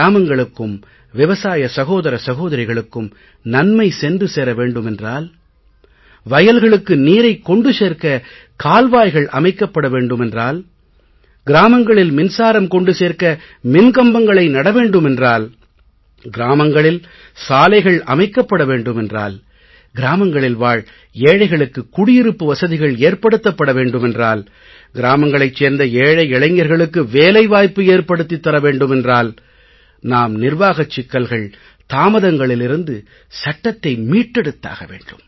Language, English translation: Tamil, Everyone felt that if the welfare of the farmers is to be achieved, if the water has to reach the fields, if poles are to be erected to provide electricity, if roads have to be constructed in the village, if houses are to be made for the poor in the village, if employment opportunities are to be provided to the poor youth of rural areas then we have to free the land from legal hassles and bureaucratic hurdles